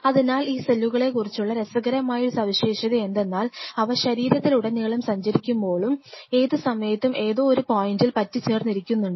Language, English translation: Malayalam, So, one interesting feature about these cells are that, they travel all over the body yet really, they anchor at any point